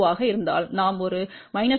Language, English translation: Tamil, 2 we went to 0